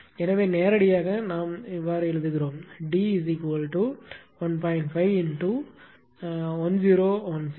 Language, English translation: Tamil, So, that is how you directly we are writing at 1